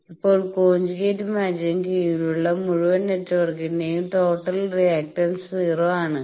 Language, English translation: Malayalam, Now since, the total reactance of the whole network under conjugate match is 0